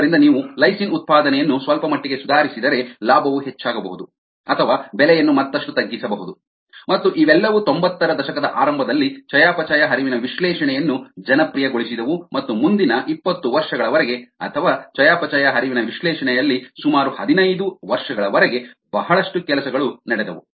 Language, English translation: Kannada, so if you improve the lysine production a little bit, then the profits could be high or the price could be further bebroad down, and all these made the use of metabolic flux analysis a popular one in the early nineties, and a lot of work went on for the next twenty years, or about fifteen years, on metabolic flux analysis